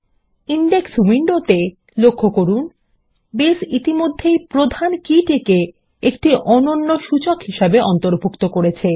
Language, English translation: Bengali, In the Indexes window, notice that Base already has included the Primary Key as a unique Index